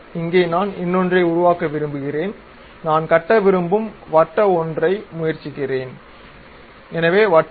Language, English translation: Tamil, Here I would like to construct another maybe is try a circular one I would like to construct; so, Circle